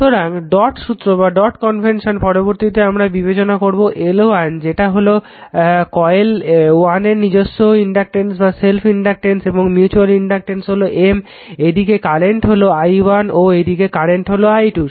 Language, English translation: Bengali, So, dot convention now this one now next one will take this is your L 1 L 2 that inductance of coil self inductance of coil L 1 L 2, and mutual inductance M is given this side current is i1 this side is current is i 2